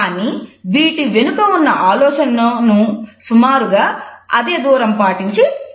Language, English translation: Telugu, But the idea behind them is communicated by roughly keeping the same space